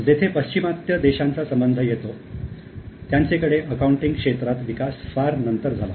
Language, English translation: Marathi, Now as far as the Western countries are developed, Western countries are concerned, the accounting developed much later